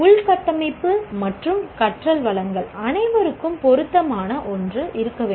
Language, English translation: Tamil, Infrastructure and learning resources, everyone should have the They appropriate one